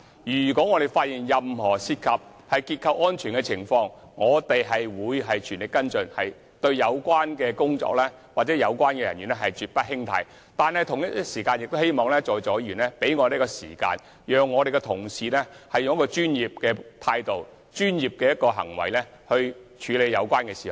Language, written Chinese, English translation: Cantonese, 如果發現任何涉及樓宇結構安全的情況，我們便會全力跟進，且對有關人員絕不輕貸，但同時，我們亦希望在座議員給予時間，讓我們的同事以專業的態度和行動處理有關事宜。, If we found any condition which affects the safety of building structures we will spare no effort in following up the matter and we will definitely not condone any personnel involved . But at the same time we hope that Members now present can give us some time for our colleagues to take actions to handle the matter with professionalism